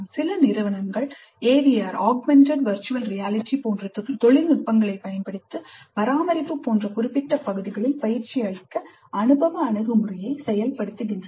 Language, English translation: Tamil, And some institutes are using technologies like even AVR augmented virtual reality to implement experiential approach to provide training in specific areas like maintenance